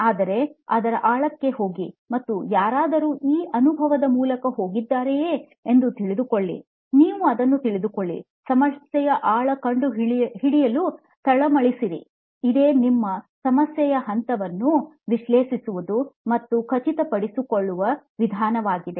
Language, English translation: Kannada, But go into the depth of it and find out why is it that somebody is going through this experience, can I find out what is, you know, simmering under that, we use the step of problem analysis, the stage of problem we and our method is to analyse and figure it out